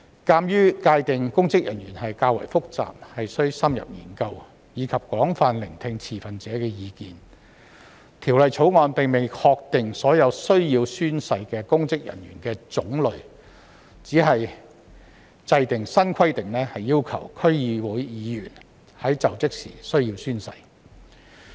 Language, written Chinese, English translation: Cantonese, 鑒於界定公職人員較為複雜，須深入研究，以及應廣泛聆聽持份者的意見，《條例草案》並未確定所有需要宣誓的公職人員的種類，只制訂新規定，要求區議會議員須在就職時宣誓。, In view of the complexity in defining public officers as well as the need to conduct in - depth study and extensively listen to the views of stakeholders the Bill has not determined all types of public officers who need to take an oath but only introduced a new requirement for members of the District Councils DCs to take an oath when assuming office